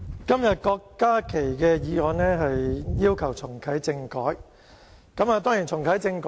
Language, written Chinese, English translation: Cantonese, 今天郭家麒議員這項議案是要求重啟政改。, Today Dr KWOK Ka - kis motion asks for reactivating constitutional reform